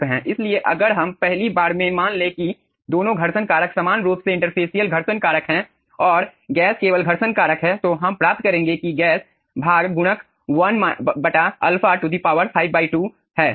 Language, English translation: Hindi, so if we first assume that both the friction factors are same interfacial friction factor and gas only friction factor, then we will be getting that gas portion multiplier is nothing but 1 by alpha to the power, 5, 5 by 2